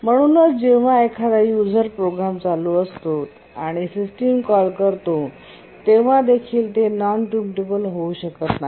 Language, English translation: Marathi, And therefore, even when a user program is running and makes a system call, it becomes non preemptible